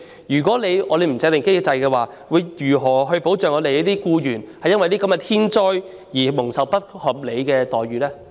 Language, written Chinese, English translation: Cantonese, 如不制訂機制，政府又將會如何保障僱員在天災後，不會受到不合理的待遇呢？, How is it going to protect employees against unreasonable treatment in the aftermath of natural disasters if it does not establish such a mechanism?